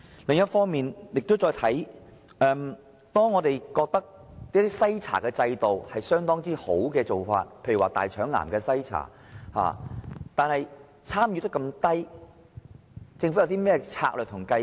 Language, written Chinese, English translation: Cantonese, 另一方面，即使是一些我們認為已做得很好的篩查制度，例如大腸癌篩查，參與率也是非常低。, There is one more thing . We may think that certain screening programmes are doing well but even in such cases the participation rates are actually very low